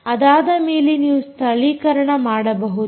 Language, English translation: Kannada, only then you can do localization